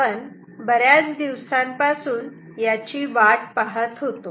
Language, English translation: Marathi, We were waiting for this for a long time